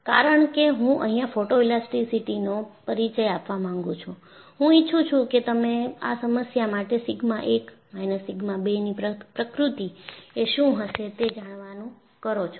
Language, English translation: Gujarati, Because I want to introduce photoelasticity,I would like you to plot what would be the nature of sigma 1 minus sigma 2 for this problem